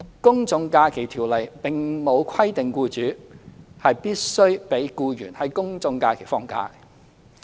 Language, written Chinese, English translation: Cantonese, 《公眾假期條例》並沒有規定僱主必須讓僱員在公眾假期放假。, The General Holidays Ordinance does not require employers to let their employees take leave on general holidays